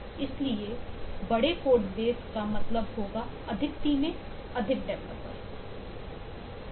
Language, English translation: Hindi, so large code bases would mean large teams, more developers